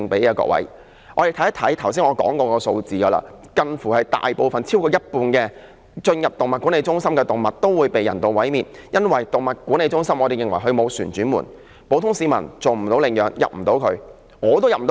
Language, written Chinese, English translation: Cantonese, 我們看看剛才說過的數字，超過一半進入動物管理中心的動物都會被人道毀滅，因為我們認為動物管理中心沒有"旋轉門"，普通市民無法到那裏領養，我也無法進入。, If we refer to the figures just mentioned we will find over half of the animals in Animal Management Centres were euthanized . We believe these centres do not have any revolving doors . Ordinary citizens and not even me cannot adopt the animals in these centres